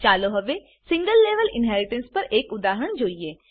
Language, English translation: Gujarati, Now let us see an example on single level inheritance